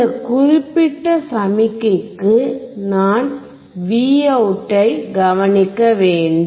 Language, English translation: Tamil, For this particular signal, I have to observe what is Vout